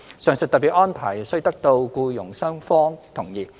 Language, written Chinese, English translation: Cantonese, 上述特別安排須得到僱傭雙方同意。, The above special arrangements are subject to agreement between FDH and the employer